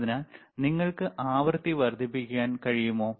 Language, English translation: Malayalam, So, can you increase the frequency please, all right